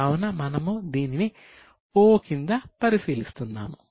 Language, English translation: Telugu, So, we will mark it as O